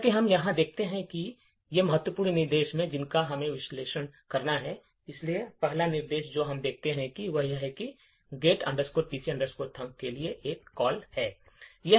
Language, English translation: Hindi, As we see over here these are the important instructions which we have to analyse, so first instruction we see is that there is a call to this get pc thunk